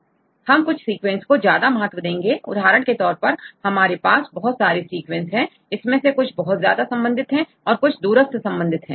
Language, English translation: Hindi, Then also you can give some sequences more weightage; For example, if you have several sequences right and some of them are highly related and some of them are distant related